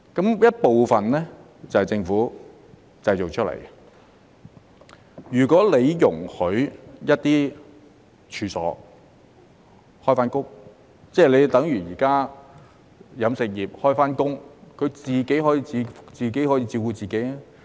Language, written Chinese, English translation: Cantonese, 這些問題部分是政府製造出來的，如果容許一些處所重開，例如現時飲食業重開，自己可以照顧自己。, These problems are partly created by the Government . If some premises are allowed to reopen just like businesses in the catering industry can reopen now they can take care of themselves